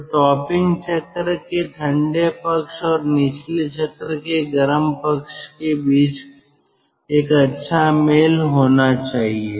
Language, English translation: Hindi, ah, so there should be a good match between the ah cold end of the topping cycle and the ah hot end of the bottoming cycle